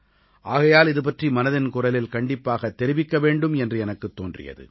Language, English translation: Tamil, So I thought, I should definitely discuss this in Mann ki Baat